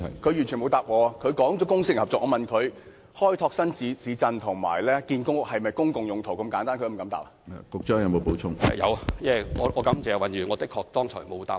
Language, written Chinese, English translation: Cantonese, 他提及公私營合作，而我問他開拓新市鎮及興建公屋是否"公共用途"，他是否連這麼簡單的問題也不敢回答？, He referred to public - private partnership but I asked him whether developing new towns and building public housing are for public purpose